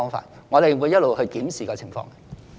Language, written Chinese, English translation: Cantonese, 因此，我們會一直檢視這情況。, For this reason we will keep this situation under review